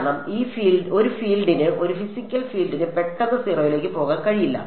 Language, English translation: Malayalam, Because, for a field a field a physical field cannot abruptly go to 0